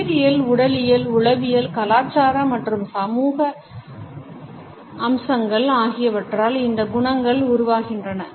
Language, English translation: Tamil, These qualities are shaped by biological, physiological, psychological, cultural, and social features